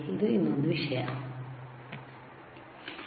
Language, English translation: Kannada, There is another thing